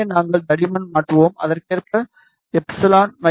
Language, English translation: Tamil, So, we will change the thickness, and epsilon is epsilon accordingly